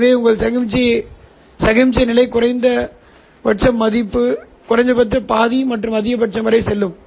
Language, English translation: Tamil, So your signal level goes through minima half and a maximum